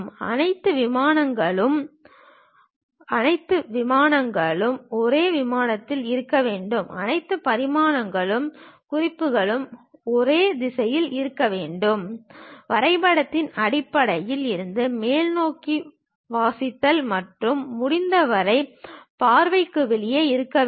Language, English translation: Tamil, All dimensions and notes should be unidirectional, reading from the bottom of the drawing upward and should be located outside of the view whenever possible